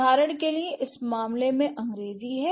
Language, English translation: Hindi, For example, in this case it's English